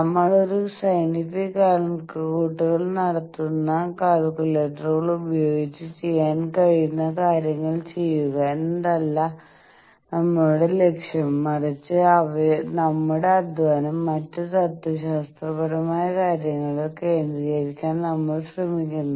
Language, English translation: Malayalam, When we do a scientific calculation our aim is not to do those things that can be done by calculators, but we try to concentrate our efforts in other philosophical things